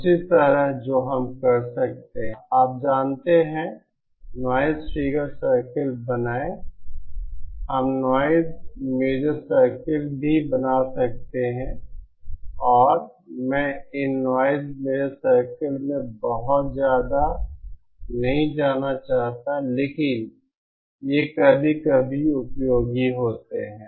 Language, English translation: Hindi, In the same that we can you know draw noise figure circles we can also draw noise measure circles and I donÕt want to go too much into these noise measure circles but they are useful sometimes